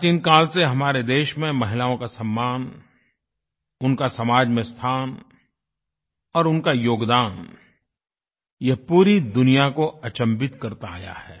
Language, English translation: Hindi, In our country, respect for women, their status in society and their contribution has proved to be awe inspiring to the entire world, since ancient times